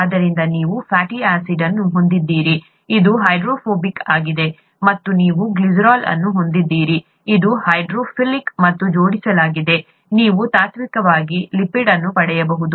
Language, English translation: Kannada, So you have a fatty acid, which is hydrophobic, and you have glycerol, which is hydrophilic and attached, you could in principle, get a lipid